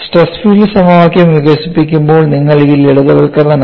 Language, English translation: Malayalam, While developing the stress field equation, you have to come across the simplification